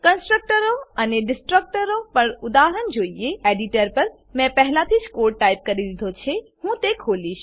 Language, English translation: Gujarati, Let us see an example on Constructors and Destructors, I have already typed the code on the editor, I will open it